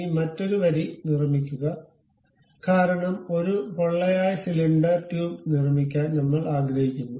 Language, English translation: Malayalam, Now, construct another line, because we would like to have a hollow cylinder tube construct that